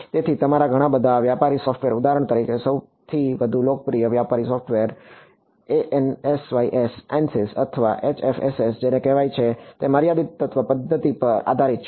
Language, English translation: Gujarati, So, your a lot of your commercial software for example, the most popular commercial software is for example, ANSYS or HFSS which is called it is based on the finite element method